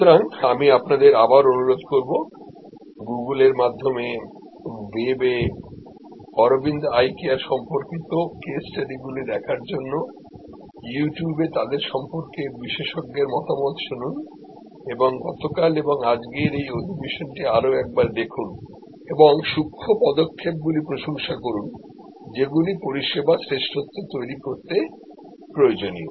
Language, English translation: Bengali, So, I will request you again to look at Aravind eye care case studies on the web through Google, listen to great experts talking about them on YouTube and look at this session of yesterday and today again and appreciate the nuances, the steps that are necessary to create service excellence